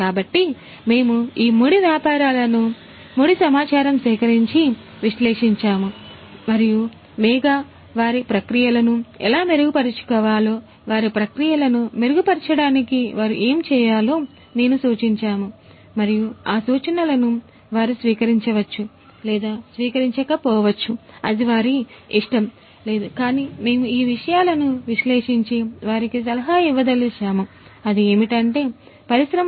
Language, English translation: Telugu, So, we will take up these raw businesses, their raw data that we have collected and we will analyze ourselves that how we can improve their processes, how we can what we can suggest to improve their processes and then those suggestions can be adopted by them or not that is up to them, but we can analyze these things and we can give a prescription for them about what they they could do in terms of that option of industry 4